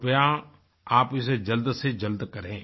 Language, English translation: Hindi, Please schedule it at the earliest